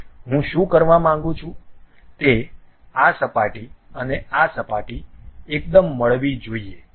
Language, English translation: Gujarati, What I would like to do is this surface and this surface supposed to be coincident